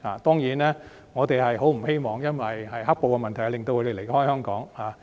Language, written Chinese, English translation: Cantonese, 當然，我們不希望"黑暴"的問題令他們離開香港。, Certainly we do not want them to be driven away from Hong Kong by the problem of black terror